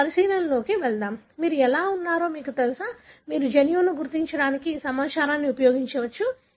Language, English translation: Telugu, Let us go on to look into, so how you have, you know, you can use this information to identify the gene